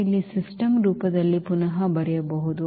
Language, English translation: Kannada, We can rewrite in the system form here